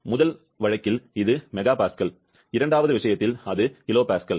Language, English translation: Tamil, In first case it is mega Pascal, in second case it is kilo Pascal